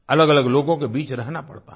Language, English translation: Hindi, They have to live amongst many different people